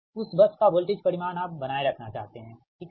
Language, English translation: Hindi, it will give you the bus voltage magnitude, right